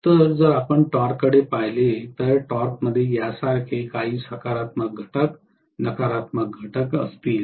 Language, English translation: Marathi, So, if you look at the torque, torque will have some positive component, negative component like this